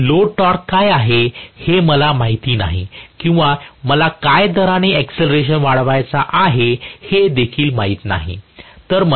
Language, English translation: Marathi, I do not know what is my load torque or I do not know what is the rate at which I want to accelerate